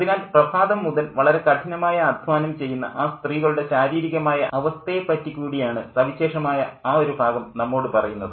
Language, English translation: Malayalam, So, that particular extract tells us the physical state of women who have been working very hard from dawn